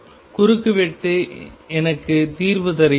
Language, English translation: Tamil, The cross section gives me the solution